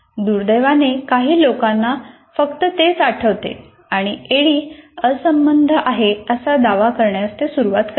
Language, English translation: Marathi, Unfortunately, people only remember that and start attacking that ADI is irrelevant